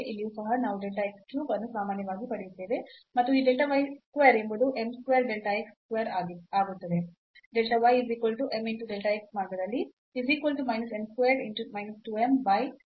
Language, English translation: Kannada, So, again the same situation, so here we have then delta x cube common here also we will get delta x cube common and this delta y square will become m square delta x square